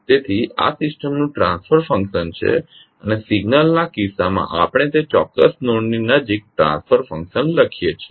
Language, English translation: Gujarati, So this is a transfer function of the system and in case of signal we write the transfer function near to that particular node